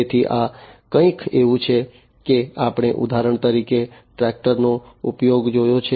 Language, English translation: Gujarati, So, this is something like you know we have seen the use of tractors for example